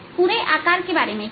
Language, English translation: Hindi, how about the overall shape